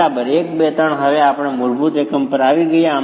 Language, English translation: Gujarati, One, two and three, we've come down to the basic unit now